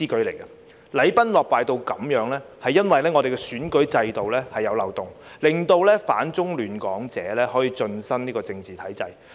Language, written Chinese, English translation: Cantonese, 禮崩樂壞至此，是因為我們的選舉制度有漏洞，令反中亂港者可以進身政治體制。, The reason for this system collapse is that there are loopholes in our electoral system allowing those who oppose China and disrupt Hong Kong to enter the political system